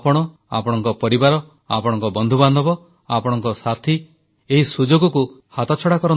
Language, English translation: Odia, You, your family, your friends, your friend circle, your companions, should not miss the opportunity